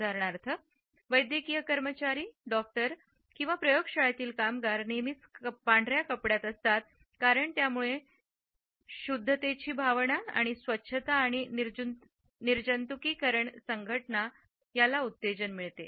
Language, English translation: Marathi, For example, the medical staff, doctors, lab workers are always dressed in white because it imparts a sense of purity and also evokes associations of sanitation and sterility